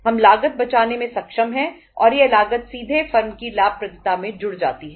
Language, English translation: Hindi, We are able to save the cost and that cost directly adds to the profitability of the firm